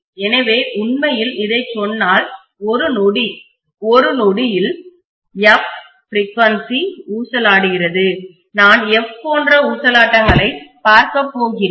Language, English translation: Tamil, So if I say that this is actually oscillating at a frequency of f, in one second I am going to see f such oscillations